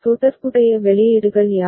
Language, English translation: Tamil, What are the corresponding outputs